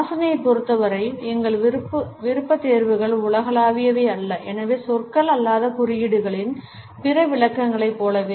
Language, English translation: Tamil, Our preferences in terms of smell are not universal and therefore, similar to other interpretations of non verbal codes